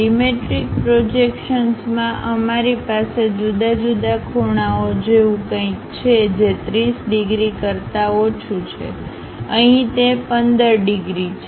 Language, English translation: Gujarati, In dimetric projections, we have different angles something like lower than that 30 degrees, here it is 15 degrees